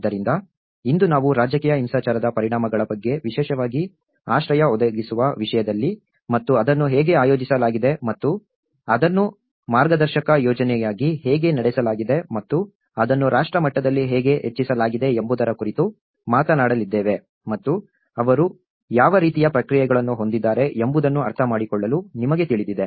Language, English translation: Kannada, So, today we are going to talk about the consequences of the political violence at specially in terms of shelter provision and how it has been organized and how it has been conducted as a pilot project and how it has been scaled up at a nation level and what kind of responses they have you know able to understand